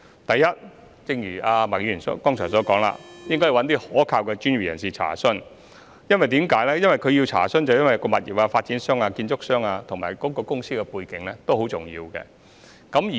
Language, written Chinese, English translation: Cantonese, 第一，正如麥議員剛才所說，市民應向一些可靠的專業人士查詢，因為物業發展商、建築商及公司的背景都十分重要。, First as Ms MAK said just now the public should check with reliable professionals because the background of the property developers builders and companies is most important